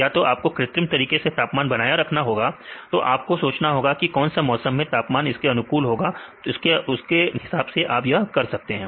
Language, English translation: Hindi, Either you have to artificially you have to maintain the temperature or you have to think; this is the season where we have the temperature in this range and we can do